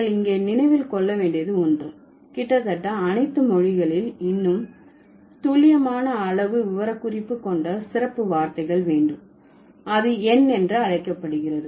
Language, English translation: Tamil, Almost so one thing you need to remember here almost all languages have special words for more precise quantitative specification that is called numerals